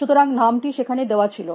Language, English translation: Bengali, So, name was point there